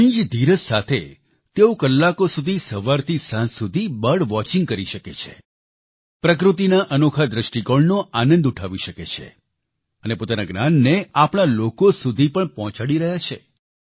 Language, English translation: Gujarati, With utmost patience, for hours together from morn to dusk, they can do bird watching, enjoying the scenic beauty of nature; they also keep passing on the knowledge gained to us